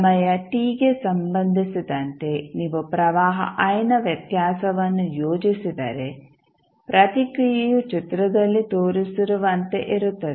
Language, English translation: Kannada, If you plot the variation of current I with respect to time t the response would be like shown in the figure